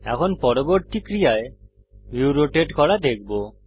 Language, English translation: Bengali, The next action we shall see is to rotate the view